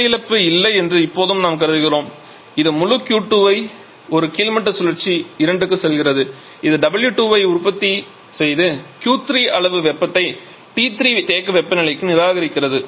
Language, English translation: Tamil, Now we are assuming there is no heat loss so this entire Q 2 is going to a bottoming cycle 2 which is producing W 2 amount of heat and rejecting Q 3 to the reservoir temperature T 3